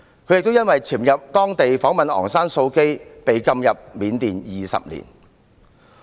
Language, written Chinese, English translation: Cantonese, 他亦因為潛入緬甸訪問昂山素姬而被禁入緬甸20年。, He was also banned from entering Burma for 20 years as he once sneaked into Burma to interview Aung San Suu Kyi